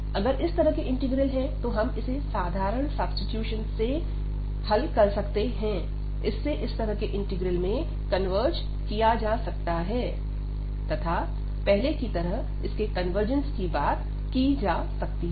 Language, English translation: Hindi, So, if we have this type of integrals, we can just by simple substitution, we can converge into this type of integral, and then discuss the convergence the way we have discussed earlier